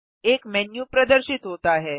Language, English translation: Hindi, A menu appears